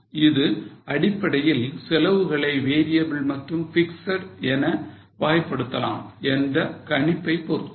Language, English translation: Tamil, Of course, fundamentally it is based on the assumption that all costs can be classified into variable and fixed